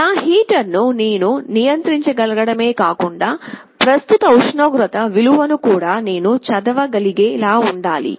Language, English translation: Telugu, Like not only I should be able to control my heater, I should also be able to read the value of the current temperature